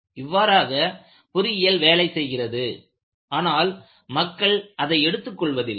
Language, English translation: Tamil, See this is how engineering proceeds;people do not take it